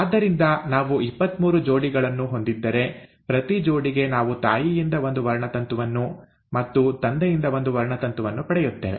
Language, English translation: Kannada, So if we have twenty three pairs; for each pair we are getting one chromosome from the mother, and one chromosome from the father